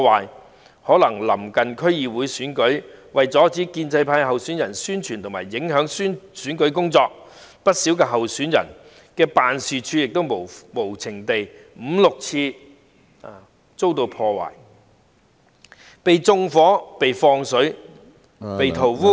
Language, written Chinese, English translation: Cantonese, 也許是臨近區議會選舉的緣故，為了阻止建制派候選人的宣傳和選舉工作，不少候選人的辦事處曾先後五六次被無情地破壞、縱火、放水、塗污......, This is probably because the District Council election is around the corner and the destruction seeks to stop the publicity and electoral campaigns of the pro - establishment candidates . Offices of many candidates have been ruthlessly vandalized set on fire spilled with water and defaced for five to six times